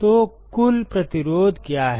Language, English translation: Hindi, So, what is the total resistance